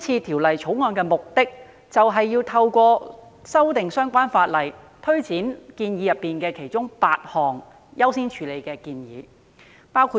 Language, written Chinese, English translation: Cantonese, 《條例草案》的目的是透過修訂相關法例，推展其中8項需要優先處理的建議。, The purpose of the Bill is to implement eight recommendations of higher priority through amending the relevant ordinances